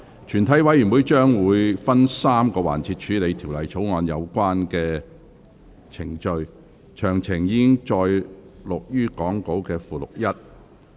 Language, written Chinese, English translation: Cantonese, 全體委員會將會分3個環節處理《條例草案》的有關程序，詳情載於講稿附錄1。, Committee will deal with the relevant proceedings on the Bill in three sessions the details of which are set out in Appendix 1 to the Script